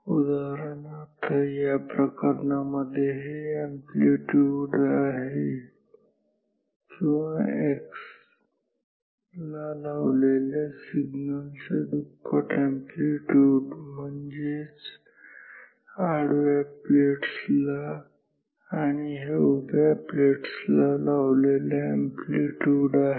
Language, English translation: Marathi, For example, in this case this is the amplitude or twice of the amplitude of the signal applied to the x, I mean for to the horizontal plates and this is the amplitude of the voltage applied to the vertical plates